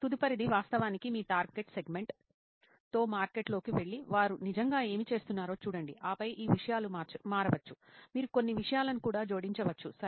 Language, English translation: Telugu, The next is to actually go into the market with your target segment and see what do they actually do and then these things may change, you may add a few things also, ok